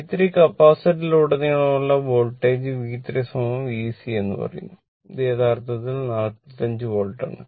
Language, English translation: Malayalam, The Voltage across the capacitor that is V 3 say V 3 is equal to V c , and this is actually , 45 Volt right